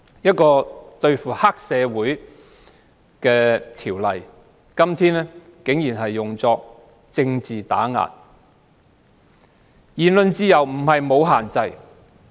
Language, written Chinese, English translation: Cantonese, 今天，對付黑社會的條例竟然被用作政治打壓工具。, Today the ordinance which aims to combat the triad society has surprisingly been invoked as a political suppression tool